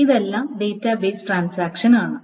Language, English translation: Malayalam, So, this is about database transactions